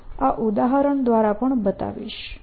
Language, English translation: Gujarati, i will also demonstrate this through an example